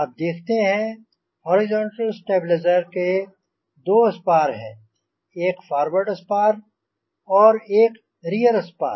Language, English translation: Hindi, you can see the vertical stabilizer has got two spars, the first spar, the seconds spar and the ribs